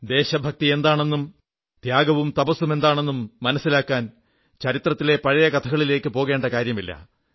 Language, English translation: Malayalam, To understand the virtues of patriotism, sacrifice and perseverance, one doesn't need to revert to historical events